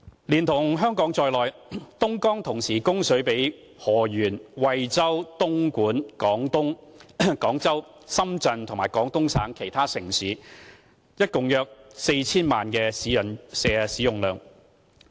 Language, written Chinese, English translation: Cantonese, 連同香港在內，東江同時供水給河源、惠州、東莞、廣州、深圳及廣東省其他城市共約 4,000 萬人使用。, With Hong Kong included in its list Dongjiang provides water to Heyuan Huizhou Dongguan Guangzhou Shenzhen and other cities in Guangdong Province for some 40 million people to use